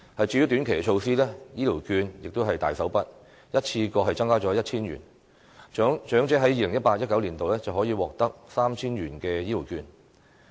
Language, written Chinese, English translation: Cantonese, 至於短期措施，醫療券亦是大手筆，一次過增加了 1,000 元，長者在 2018-2019 年度可以獲得 3,000 元的醫療券。, As for short - term measures there will be a significant increase in the value of health care vouchers . An additional 1,000 worth of health care vouchers will be provided and elderly persons can get 3,000 worth of health care vouchers in 2018 - 2019